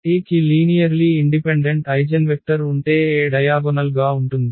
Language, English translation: Telugu, So, if we get n linearly independent eigenvectors then A can be diagonalized